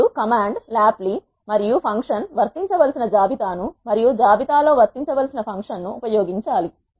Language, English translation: Telugu, You have to use the command lapply and the list on which the function has to be applied and function which has to be applied on the list